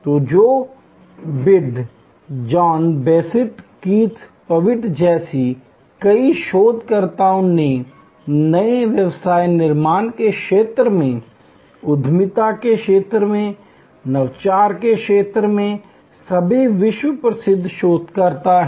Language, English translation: Hindi, So, many researchers like Joe Tidd, John Bessant, Keith Pavitt, they are all world famous researchers in the field of innovation, in the field of entrepreneurship, in the field of new business creation